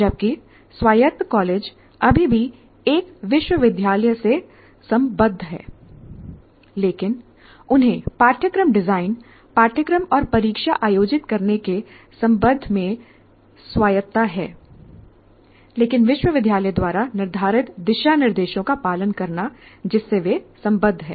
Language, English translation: Hindi, Whereas autonomous college is still affiliated to a university, but they have autonomy with respect to the curriculum design and conducting the course and conducting the examination, but with following some guidelines stipulated by the university to which they're affiliated